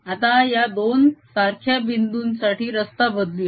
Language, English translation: Marathi, now let's change the path with the same two points